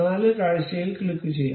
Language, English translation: Malayalam, Let us click this four view